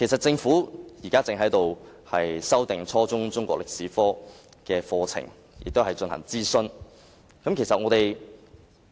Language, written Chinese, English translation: Cantonese, 政府現正就修訂初中中史科課程進行諮詢。, The Government is conducting a consultation on revising the Chinese History curriculum at junior secondary level